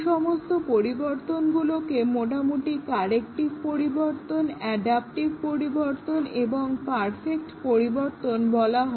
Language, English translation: Bengali, Roughly, these changes can be classified into corrective changes, adaptive changes and perfective changes